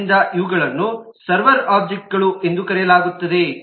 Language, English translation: Kannada, so these are known as the server objects